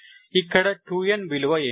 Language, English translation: Telugu, so, 2 n plus 2